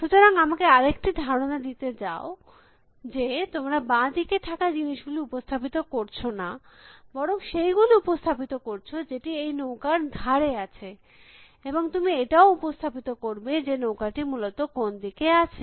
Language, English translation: Bengali, So, let me suggest another thing, which is that you do not represent things which are on the left bank, but you represent things which are on the side of the board and you will also represent, which side the boat is essentially